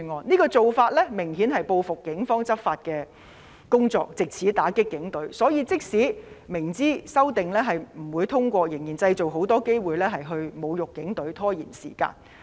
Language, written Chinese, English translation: Cantonese, 這種做法明顯是報復警方的執法工作，藉此打擊警隊，所以即使明知修正案不會獲得通過，他們仍然要製造很多機會侮辱警隊，拖延時間。, Obviously this is retaliation against the enforcement work of the Police which aims at dealing a blow to them . Even if they know too well that the amendments will not be passed they still try to create many opportunities to insult the Police and cause delay